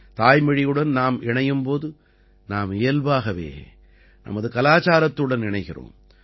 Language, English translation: Tamil, When we connect with our mother tongue, we naturally connect with our culture